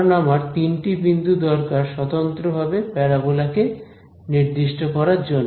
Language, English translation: Bengali, Because, I need three points to uniquely specify a parabola right